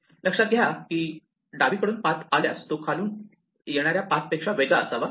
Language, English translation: Marathi, Notice that if a path comes from the left it must be different from a path that comes from below